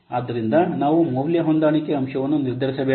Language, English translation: Kannada, So then we have to determine the value adjustment factor